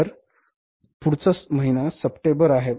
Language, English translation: Marathi, So the next month is September